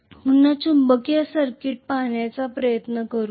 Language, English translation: Marathi, Let us try to look at the magnetic circuit again